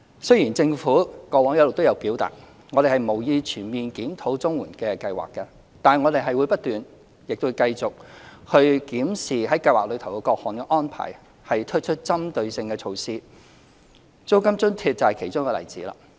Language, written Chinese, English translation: Cantonese, 雖然政府過往一直也表達，我們無意全面檢討綜援計劃，但我們會不斷、亦會繼續檢視計劃的各項安排，並推出針對性的措施，租金津貼就是其中一個例子。, In the past the Government had expressed clearly that we had no intent to conduct an overall review of CSSA Scheme but we will constantly and continuously examine the various arrangements under the Scheme and introduce targeted measures and the rent allowance is a case in point